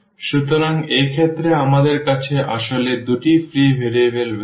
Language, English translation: Bengali, So, in this case we have two in fact, free variables